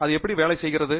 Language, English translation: Tamil, Is that how it works